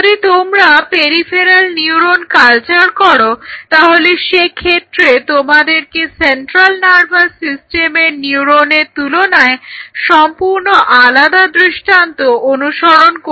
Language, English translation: Bengali, So, if you are culturing peripheral neurons and you have to follow a different paradigm as compared to if you are following a central nervous system neuron